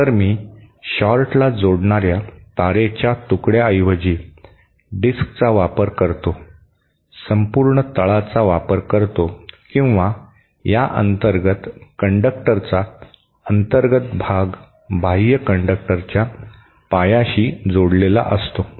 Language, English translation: Marathi, So, I kind of use a disk rather than single piece of wire connecting the short, use the entire bottom or the inner base of this inner conductor is connected to the base of the outer conductor